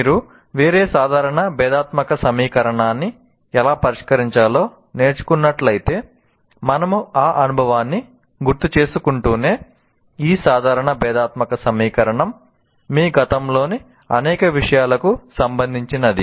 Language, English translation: Telugu, It is not restricted to, for example, if you have learned how to solve a ordinary differential equation, while we are recalling their experience, this ordinary differential equation can be related to many things of your past